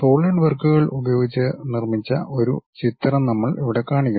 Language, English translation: Malayalam, Here we are showing a picture constructed using Solidworks